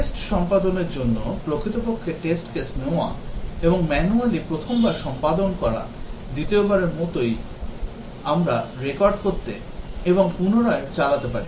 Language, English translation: Bengali, For test execution, actually taking the test cases and executing manually first time, second time of course, we can record and replay